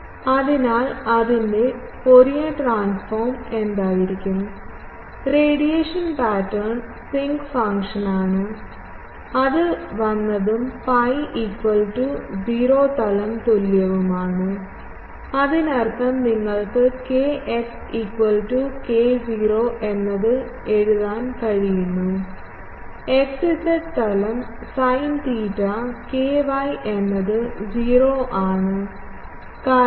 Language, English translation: Malayalam, So, Fourier transform of that will be what; radiation pattern is sinc function that is what it came and in the pi is equal to 0 plane; that means, x z plane you can write kx is k not sin theta ky is 0 cos phi is 1